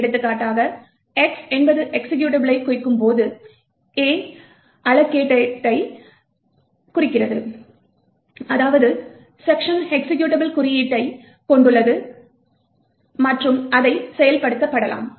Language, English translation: Tamil, So, for example A and X implies that this is a stands for Alloc, allocated while X stands for Executable, which means that the section contains executable code and can be executed